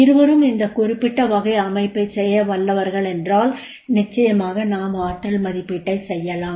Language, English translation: Tamil, If both are capable of doing this particular type of the system, then definitely the we can make the potential appraisal